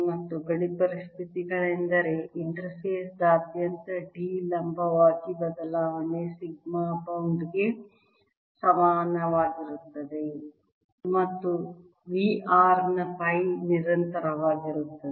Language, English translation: Kannada, and the boundary conditions are that change in d perpendicular about an interface is equal to sigma bond and phi of v